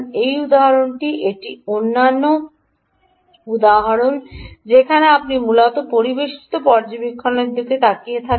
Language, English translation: Bengali, these are other example where you are essentially looking at ambient monitoring ah